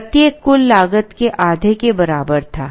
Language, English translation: Hindi, So, each was equal to half of the total cost